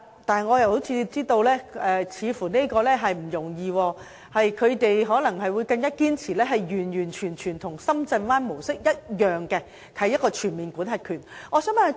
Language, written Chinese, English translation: Cantonese, 但是，我知道這似乎並不容易，他們可能是堅持完全與深圳灣模式一樣，也就是擁有全面管轄權。, But I understand that this seems to be not easy . They may insist on fully following the Shenzhen Bay model under which jurisdiction can be exercised fully